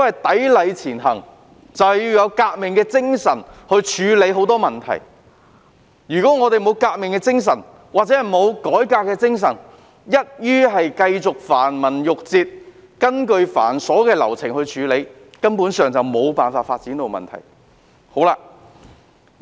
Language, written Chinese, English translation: Cantonese, "砥礪前行"就是要有革命的精神處理眾多問題，如果沒有革命或改革的精神，只是繼續依循繁文縟節、繁瑣的流程處理，根本無法解決有關發展的問題。, Striving ahead means adopting a revolutionary mindset to deal with a myriad of issues . If the Government refuses to adopt a revolutionary spirit but sticks to the red tape and cumbersome procedures it will be utterly impossible to address the development issues